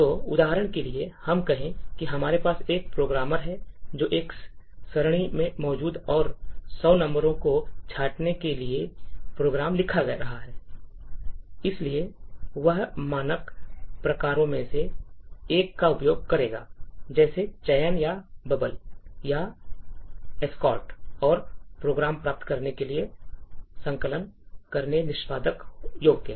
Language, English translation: Hindi, So, let us for example, say that we have programmer who is writing a program to say sort hundred numbers present in an array, so he would use one of the standard sorts, like selection or bubble or quicksort and compile the program get an executable